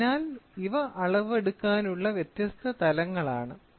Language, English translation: Malayalam, So, these are the different levels of measurement